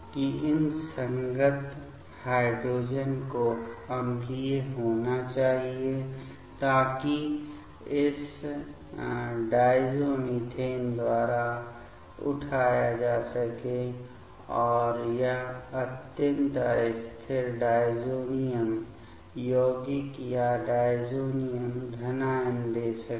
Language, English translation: Hindi, That these corresponding hydrogen has to be acidic so, that it can be picked up by this diazomethane and give this extremely unstable diazonium compound or diazonium cation